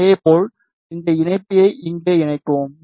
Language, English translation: Tamil, Similarly, use this connector connect it here